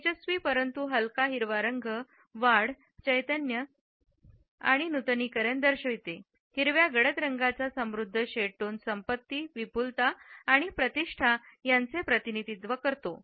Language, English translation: Marathi, The bright yet light green color indicates growth, vitality and renewal whereas, the richer shades of green which are darker in tone represent wealth, abundance and prestige